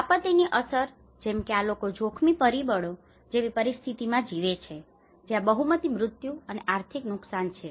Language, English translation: Gujarati, So disaster impacts because these people live in this kind of risk factors situations that is where the majority mortality and economic loss